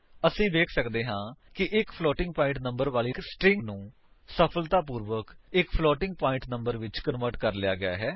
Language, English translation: Punjabi, We can see that the string containing a floating point number has been successfully converted to a floating point number